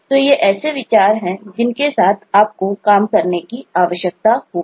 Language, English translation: Hindi, so these are the considerations that you will need to work with